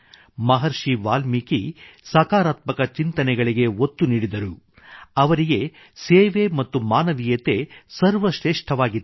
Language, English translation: Kannada, Maharishi Valmiki emphasized positive thinking for him, the spirit of service and human dignity were of utmost importance